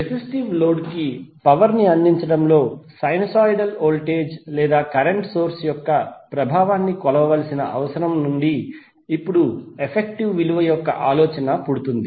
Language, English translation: Telugu, Now the idea of effective value arises from the need to measure the effectiveness of a sinusoidal voltage or current source and delivering power to a resistive load